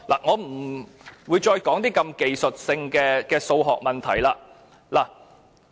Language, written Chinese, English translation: Cantonese, 我不再談如此技術性的數學問題。, I will stop talking about such technical mathematical problems